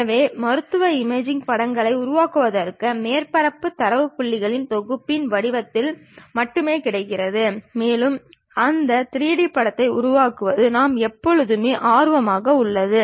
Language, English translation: Tamil, So, for medical imaging image generation surface data is available only in the form of set of data points and what we all all the time interested is constructing that 3D image